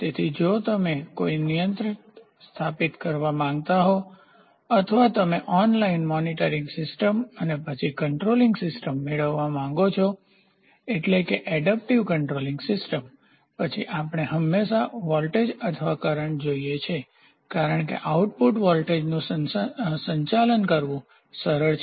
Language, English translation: Gujarati, So, if you want to establish a controller or you want to have an online monitoring system and then controlling system; so, adaptive controlling system, then what we do is we always look for voltage or current as the output voltage it is easy to manage